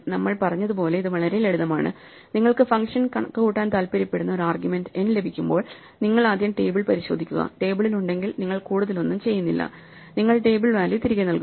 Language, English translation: Malayalam, It is very simple as we said when you get an argument n for which you want to compute the function, you first check the table, if it is there in the table you do not do anything more you just return the table value